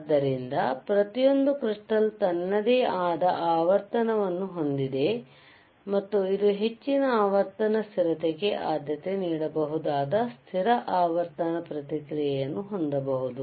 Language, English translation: Kannada, So, every crystal has itshis own frequency and it can hold or it can have a stable frequency response, preferred for greater frequency stability